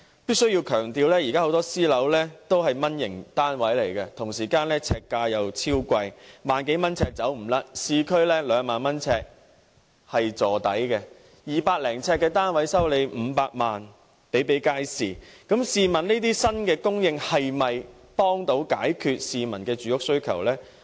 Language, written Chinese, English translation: Cantonese, 必須強調，現時推出的私人樓宇很多屬"蚊型單位"，呎價卻十分昂貴，最低要1萬多元，市區單位的呎價更最少要2萬元，一個200多呎的單位叫價500萬元的情況比比皆是，試問這些新供應的單位，可否幫到市民解決住屋需求？, It must be emphasized that most of these private flats are mini units but the per - square - foot price can be over 10,000 and even 20,000 or more for units in the urban areas . A unit of 200 - odd sq ft unit may cost 5 million . May I ask if such newly supplied units can really satisfy the peoples housing needs?